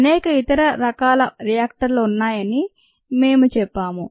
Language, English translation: Telugu, we said there are many other kinds of reactors